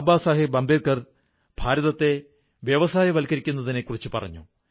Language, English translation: Malayalam, Baba Saheb Ambedkar spoke of India's industrialization